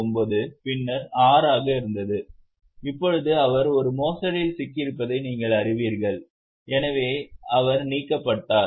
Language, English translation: Tamil, 79, then 6, and now you know that she is held up in a fraud, so she has been removed